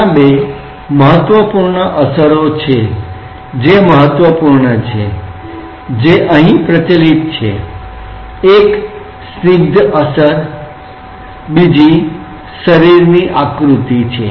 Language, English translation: Gujarati, There are two important effects which are important; which prevalent here, one is the viscous effect, another is the contour of the body